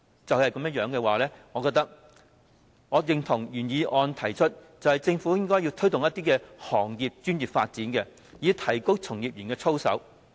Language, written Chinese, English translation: Cantonese, 考慮到這些情況，我認同原議案的建議，政府應該推動行業專業發展，以提高從業員的操守。, In view of these cases I support the proposals made in the original motion that the Government should promote the professional development of the industry to improve the conduct of its practitioners